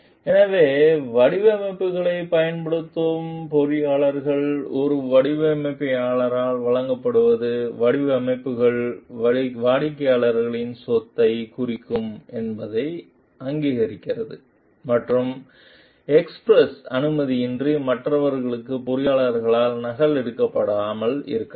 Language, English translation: Tamil, So, engineers using designs, supplied by a client recognize that the designs will mean the property of the client and may not be duplicated by the engineer for others without express permission